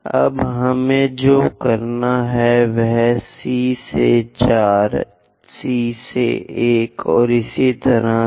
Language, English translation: Hindi, Now, what we have to do is from C to 4, C to 1, and so on